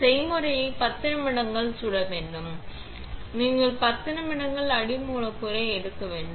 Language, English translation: Tamil, The recipe should bake for 10 minutes and you should just take out the substrate in 10 minutes